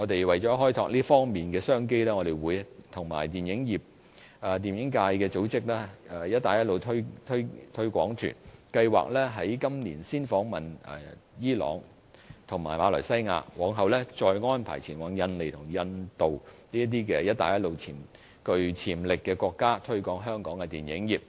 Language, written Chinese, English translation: Cantonese, 為開拓這方面的商機，我們會與電影界組織"一帶一路"推廣團，計劃今年先訪問伊朗和馬來西亞，往後再安排前往印尼和印度等"一帶一路"具潛力的國家，推廣香港的電影業。, In order to develop business opportunities in this regard we will organize in conjunction with the film industry Belt and Road promotional tours to countries with market potential . We plan to visit Iran and Malaysia this year and then to Indonesia India etc to promote the film industry of Hong Kong